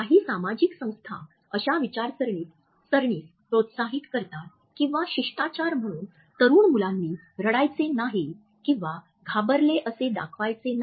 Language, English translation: Marathi, Some societies encourage the idea that young boys or little manners they are called do not cry or look afraid